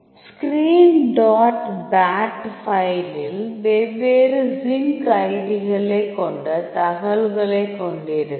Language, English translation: Tamil, So, screen dot bat file will be having the information of we are having different zinc ids